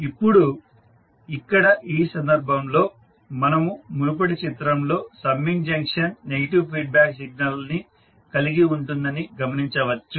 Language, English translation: Telugu, Now, here in this case we say that in the previous figure we can observe that the summing junction will have negative feedback signal